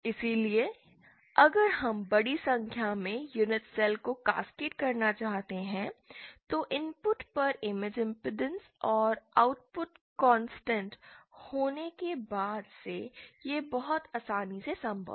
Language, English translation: Hindi, So if we want to just cascade large number of unit cells then it is very easily possible since the image impedance at the input and the output is constant